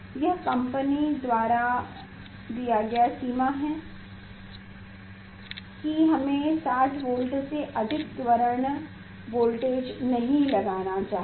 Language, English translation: Hindi, that is the restriction given by the company that we should not apply more than 60 volt accelerating voltage